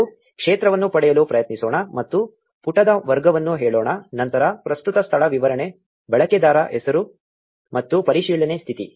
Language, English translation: Kannada, Let us try to get the about field and say category of the page, then current location, description, username and verification status